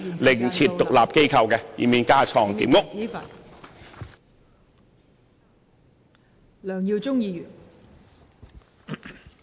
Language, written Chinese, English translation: Cantonese, 另設獨立機構，以免架床疊屋。, to set up another independent authority so as to avoid duplication of structure